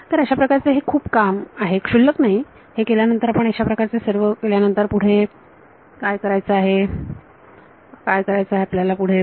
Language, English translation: Marathi, So, its a fair amount of work its not trivial having done that you have read in all of these what you do next what would you do next